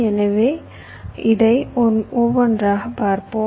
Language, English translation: Tamil, so let us see this one by one, right, ok